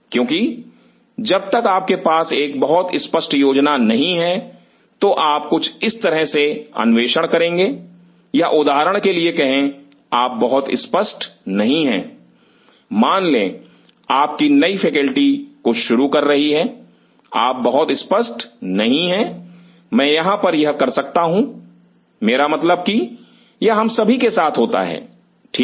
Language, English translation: Hindi, Because, unless you have a very clear cut plan this is how you want to explore or say for example, you are not very sure suppose your new faculty starting something, you are not very sure here I may do this, I mean that happens with all of us right